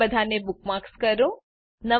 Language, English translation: Gujarati, * Bookmark all of them